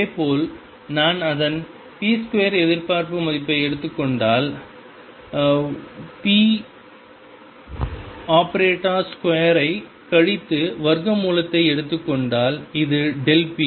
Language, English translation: Tamil, Similarly if I take p square expectation value of that, subtract the square of the expectation value of p and take square root this is delta p